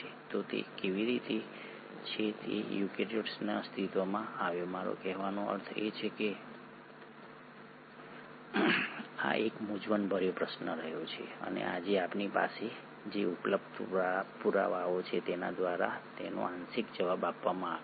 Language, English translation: Gujarati, So how is it that the eukaryotes came into existence, I mean this has been a puzzling question and it is partially answered by the available evidences that we have today